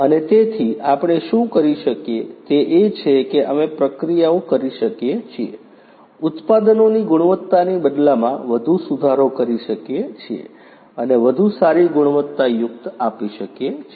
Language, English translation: Gujarati, And so what we can do is we can make the processes, the quality of the products in turn much more improve and of better quality